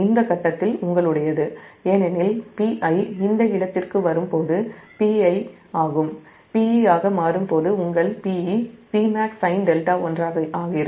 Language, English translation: Tamil, your, at this point, because p i, when it is coming to this point, p i is becoming your p e is becoming p max sin delta one